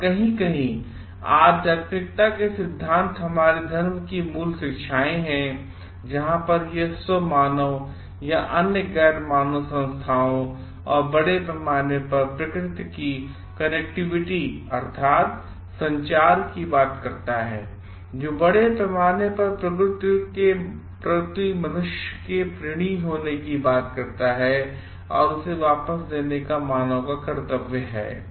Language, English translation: Hindi, And somewhere the tenets of spirituality the basic teachings of our religion; where it speaks of the connectivity of the human self and other non human entities and the nature at large; which talks of the indebtedness of the human beings to the nature at large hence duty to give it back to them